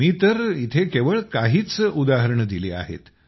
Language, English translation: Marathi, I have given only a few examples here